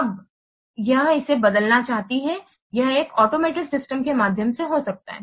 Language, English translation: Hindi, Now it wants to replace it may be through one automated system